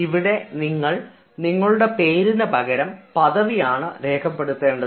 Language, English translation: Malayalam, you will not write your name, you will write your designation